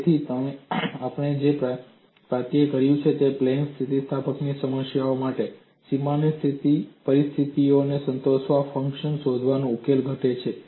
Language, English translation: Gujarati, So, what we have achieved is, for plane elastic problem, the solution reduces to finding a function phi satisfying the boundary conditions